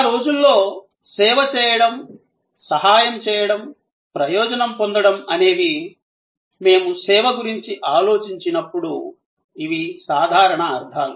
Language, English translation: Telugu, In those days, the action of serving, helping, benefiting, these were the usual connotations when we thought of service